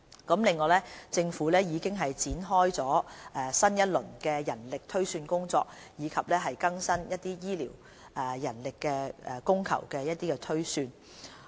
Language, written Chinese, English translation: Cantonese, 此外，政府已開展新一輪的人力推算工作，以更新醫療人力供求的推算。, The Government will kick - start a new round of manpower projection exercise to update the demand and supply projection of health care professionals